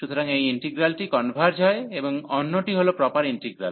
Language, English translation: Bengali, So, this integral converges and the other one is proper integral